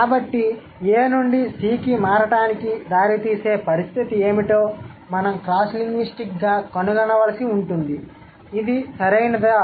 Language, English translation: Telugu, So, now we have to find out cross linguistically what are the condition which we can figure out that results the change of A to C, right